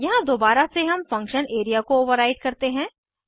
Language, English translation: Hindi, Here again we override the function area